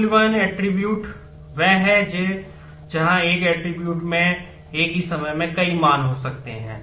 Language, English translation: Hindi, Multivalued attribute is one where one attribute may have multiple values at the same time